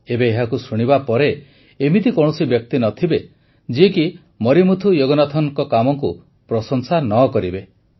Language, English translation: Odia, Now after listening to this story, who as a citizen will not appreciate the work of Marimuthu Yoganathan